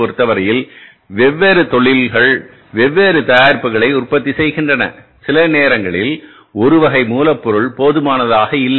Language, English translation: Tamil, In a different industries or for manufacturing different products, sometimes one type of the raw material is not sufficient